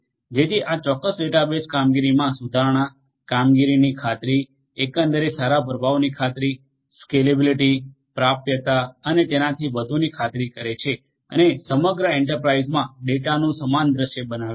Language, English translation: Gujarati, So, this particular database will ensure performance, improvement, performance ensuring performance overall good performance is ensured, scalability, availability and so on and creating a similar view of data across the enterprise